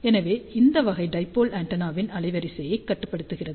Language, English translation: Tamil, So, this kind of limits the bandwidth of the dipole antenna